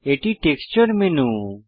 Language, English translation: Bengali, This is the Texture menu